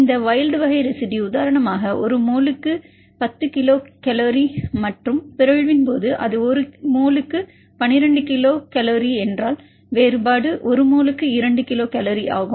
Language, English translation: Tamil, This wild type residue you know like for example, 10 kilocal per mole and upon mutation if it is 12 kilocal per mole then the difference is 2 kilocal per mole